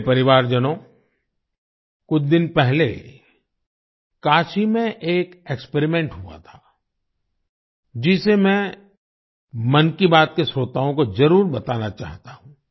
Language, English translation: Hindi, My family members, a few days ago an experiment took place in Kashi, which I want to share with the listeners of 'Mann Ki Baat'